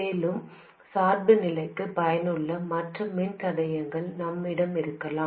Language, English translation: Tamil, Also, we may have other resistors useful for biasing